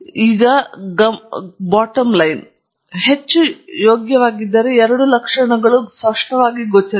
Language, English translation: Kannada, But the bottom line is, if you were to over fit, there are two symptoms that will be clearly visible